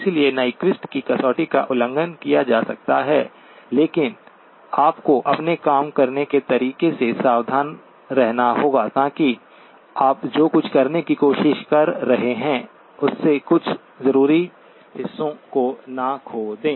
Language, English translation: Hindi, So Nyquist criterion can be violated but you have to be careful with the way you do that so that you do not lose some of the essential parts of what we are trying to do